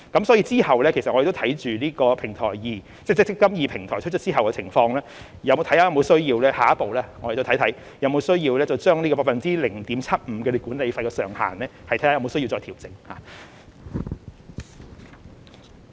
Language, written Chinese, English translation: Cantonese, 所以，之後我們亦會留意"積金易"平台推出後的情況，檢視下一步有沒有需要將 0.75% 的管理費上限再作調整。, Hence we will keep an eye on the situation after the eMPF Platform is introduced and review whether it is necessary to further adjust the 0.75 % management fee cap